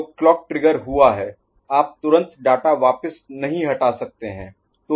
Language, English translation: Hindi, So, clock trigger has happened, you are not supposed to immediately withdraw the data